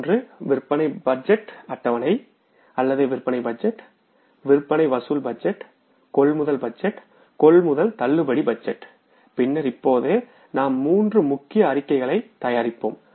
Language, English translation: Tamil, One is the sales budget or the sales budget, sales collection budget, purchase budget, purchase budget, and then now we will prepare three major statements